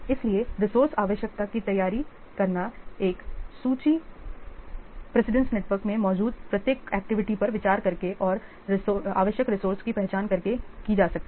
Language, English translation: Hindi, So, preparation of resource requirement list can be done by considering each activity present in the precedence network and identifying the resource required